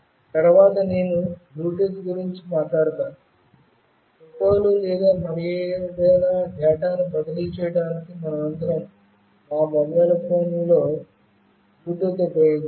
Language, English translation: Telugu, Next I will talk about Bluetooth; we all might have used Bluetooth in our mobile phones for transferring photos or any other data